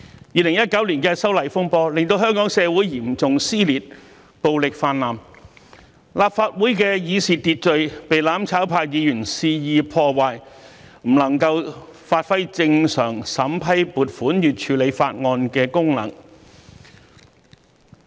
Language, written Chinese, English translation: Cantonese, 2019年的修例風波令香港社會嚴重撕裂，暴力泛濫；立法會的議事秩序被"攬炒派"議員肆意破壞，不能發揮正常審批撥款與處理法案的功能。, The disturbances arising from the proposed legislative amendments in 2019 resulted in serious social divisions and widespread violence in Hong Kong; the Legislative Council was unable to perform its normal functions of vetting and approving funding and passing bills as its procedures were disrupted by Members of the mutual destruction camp wilfully